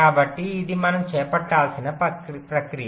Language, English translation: Telugu, so this is a process we need to carry out